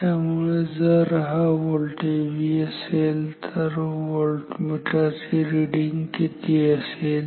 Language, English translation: Marathi, So, if this voltage is V then the voltmeter reading will be will be how much